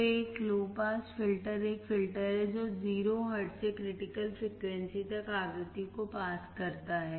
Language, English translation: Hindi, So, a low pass filter is a filter that passes frequency from 0 hertz to the critical frequency